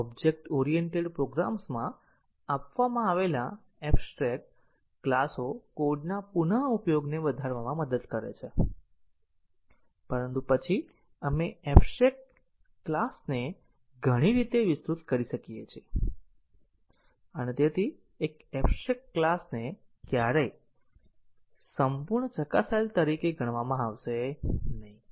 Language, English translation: Gujarati, The abstract classes provided in object oriented programs to help increase reuse of code, but then we can extend abstract class in many ways and therefore, an abstract class may never be considered as fully tested